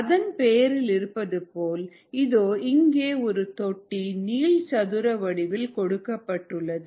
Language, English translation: Tamil, as the name suggests, it is a tank, which is represented by this rectangle here